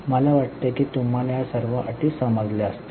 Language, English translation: Marathi, I think you understand all these terms